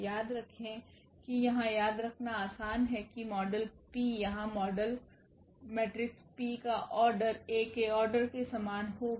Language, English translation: Hindi, Remember it is easy to remember here the model P here the model matrix P will be of the same order as A